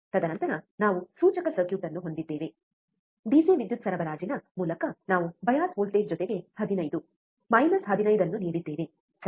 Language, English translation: Kannada, And then we have the indicator circuit, we have given the bias voltage plus 15 minus 15 through the DC power supply, right